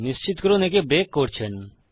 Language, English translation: Bengali, Make sure you break that